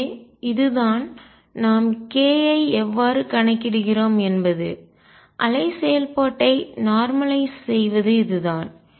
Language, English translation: Tamil, So, this is how we count k, and this is how we normalize the wave function